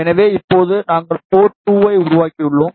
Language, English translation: Tamil, So, now we have created port 2